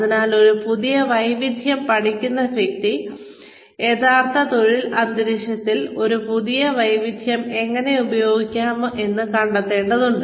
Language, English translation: Malayalam, So, the person who is learning a new skill needs to know how to use this new skill, in the actual work environment